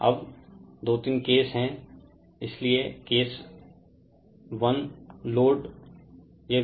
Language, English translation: Hindi, Now, there are 2 3 cases 3 cases; so, case 1 load right